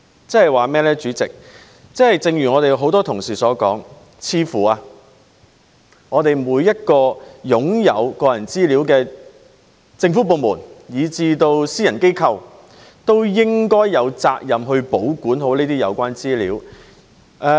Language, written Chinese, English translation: Cantonese, 主席，換句話說，正如我們很多同事所說，每個擁有個人資料的政府部門以至私人機構，似乎都應有責任保管好這些資料。, President in other words as many of our colleagues have pointed out all government departments as well as private organizations that possess personal data apparently should have the responsibility to take good care of such data